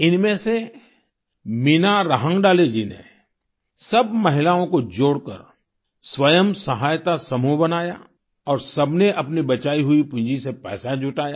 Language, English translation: Hindi, One among these women, Meena Rahangadale ji formed a 'Self Help Group' by associating all the women, and all of them raised capital from their savings